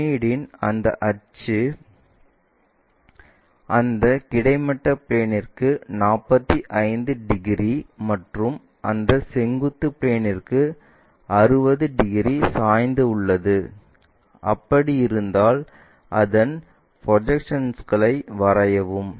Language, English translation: Tamil, The axis of the pyramid is inclined at 45 degrees to that horizontal plane and 60 degrees to that vertical plane, if that is the case draw its projections, ok